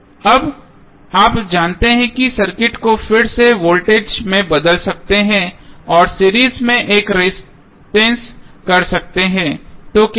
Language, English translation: Hindi, Now, you know you can again transform the circuit back into voltage and one resistance in series so what will happen